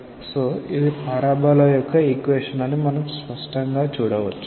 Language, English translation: Telugu, So, we can clearly see that it is a its an equation like of a parabola